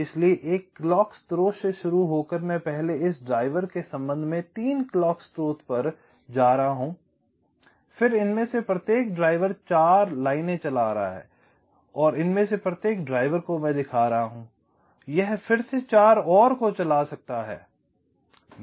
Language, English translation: Hindi, so, starting from a clock source, i am first going to three clock source with respect to this driver, then the each of this driver is driving four lines, and each of this driver i am showing one it may be driving again four